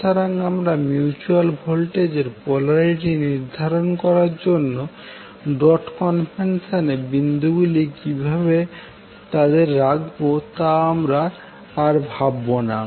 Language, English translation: Bengali, So we will not bother how to place them the dots are used along the dot convention to determine the polarity of the mutual voltage